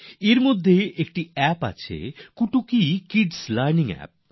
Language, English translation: Bengali, Among these there is an App 'Kutuki Kids Learning app